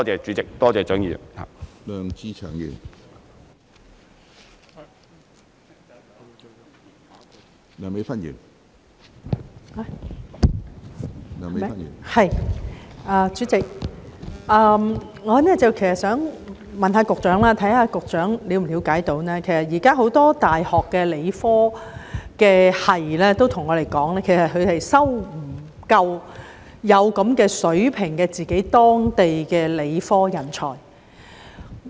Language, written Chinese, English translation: Cantonese, 主席，我想問局長，他是否了解到一個情況，現時很多大學的理科學系教授都向我們表示，他們未能收錄足夠有一定水平的本地理科人才。, President I would like to ask the Secretary if he is aware of a situation . Many professors of science departments in universities have told us that they are unable to admit enough local science talents of a certain standard